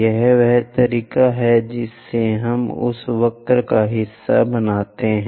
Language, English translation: Hindi, This is the way we construct part of that curve